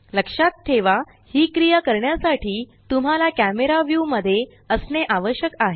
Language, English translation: Marathi, Do remember that to perform these actions you need to be in camera view